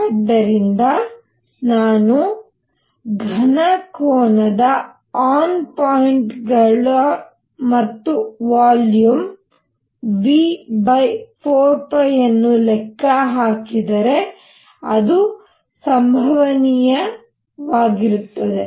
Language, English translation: Kannada, So, if I calculate the solid angle made by a on points and volume V and divided by 4 pi that is going to be the probability